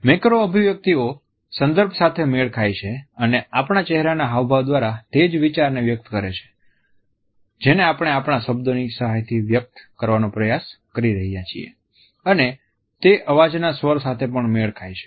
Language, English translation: Gujarati, Macro expressions match the content they express the same idea through our facial expressions which we are trying to express with the help of our words and they also match the tone of the voice